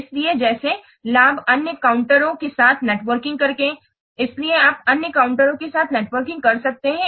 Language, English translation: Hindi, So like the benefits will be networking with other counters